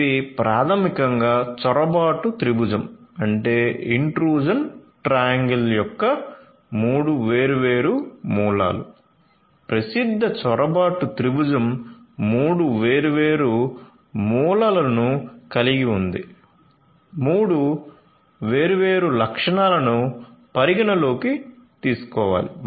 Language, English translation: Telugu, So, this is basically the three different corners of the intrusion triangle the famous intrusion triangle the popular intrusion triangle has three different corners, three different you know features that will have to be taken into account